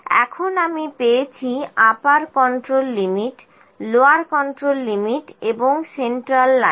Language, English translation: Bengali, Now I have got upper control limit, lower control limit and central line